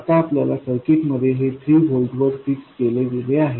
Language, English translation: Marathi, Now, in our circuit this is fixed at 3 volts